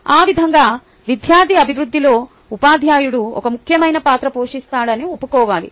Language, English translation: Telugu, thus, a teacher should be convinced that he or she plays an important role in the development of the student